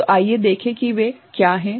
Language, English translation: Hindi, So, let us see what are they